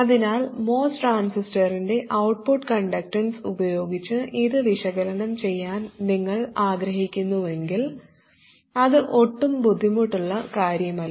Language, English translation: Malayalam, So if you do want to analyze it with the output conductance of the MOST transistor, it is not at all difficult